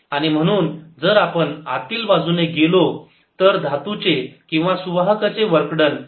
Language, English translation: Marathi, therefore, if we go from inside the metal or conductor, work done is zero